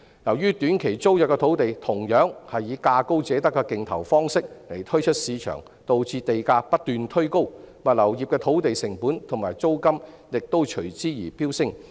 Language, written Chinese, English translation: Cantonese, 由於短期租約土地同樣是以價高者得的競投方式推出市場，導致地價不斷推高，物流業的土地成本及租金亦隨之飆升。, As STT sites are also offered to the market by a highest - bidder - wins competitive bidding approach land costs have continued to climb pushing the land costs and rentals for the logistics industry to soar